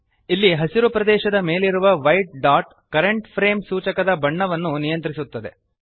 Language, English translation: Kannada, The white dot here over the green area controls the colour of the current frame indicator